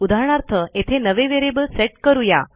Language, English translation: Marathi, For example, lets set a new variable here